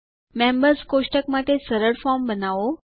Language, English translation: Gujarati, Create a simple form for the Members table